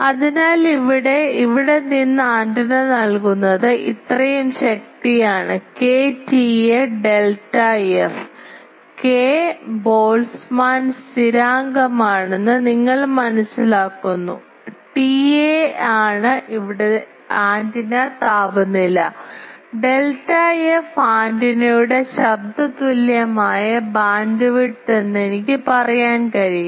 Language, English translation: Malayalam, So, from here antenna is giving this is this much power K T A delta f, you understand K is Boltzmann constant, T A is the antenna temperature here and delta f is the antenna delta f I can say is the noise equivalent bandwidth